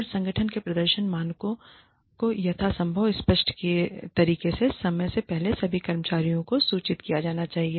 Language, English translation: Hindi, And, the performance standards of the organization, should be communicated to all employees, as far ahead of time, in as clear manner, as possible